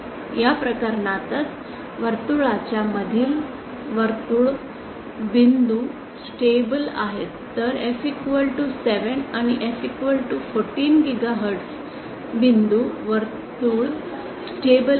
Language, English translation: Marathi, In this case for f equal to 1 gigahertz circle points inside the circle are stable whereas for f equal to 7 and 14 gigahertz points the circle are stable